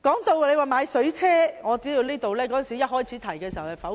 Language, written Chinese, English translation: Cantonese, 至於購買水炮車一事，我知道一開始時曾被否決。, As for the procurement of the vehicles equipped with water cannons I know that it was negatived right at the beginning